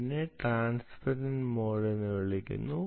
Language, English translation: Malayalam, clearly, this is called transparent mode